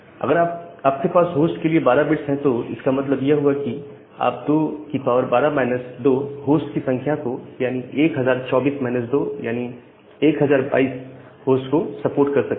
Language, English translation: Hindi, See if you have 12 bits for host that means, you can support 2 to the power 12 minus 2, this many number of host that means, equal to 1024 minus 2 1022 number of host